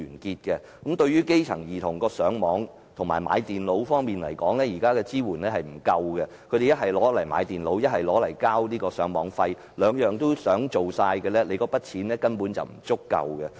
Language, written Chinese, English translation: Cantonese, 政府現時對於基層兒童上網學習和購買電腦方面的支援並不足夠，他們只能用津貼購買電腦或繳交上網費用，如果兩者都想做，津貼根本不足夠。, At present the support provided to grass - roots children for Internet learning and acquisition of computers is inadequate . They can only use the subsidy to buy computers or pay Internet access charges . If they want both the subsidies are basically not enough